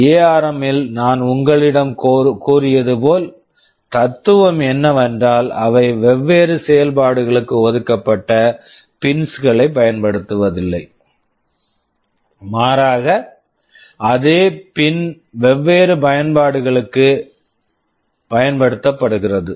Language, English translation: Tamil, As I told you in ARM the philosophy is that they do not use dedicated pins for different functions, same pin you can use for different applications